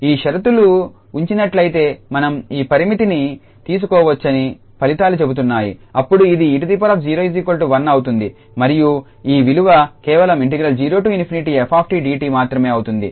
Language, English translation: Telugu, So, the results says that this limit we can take inside provided these conditions hold then this e power 0 will become 1 and this value will be just 0 to infinity f t dt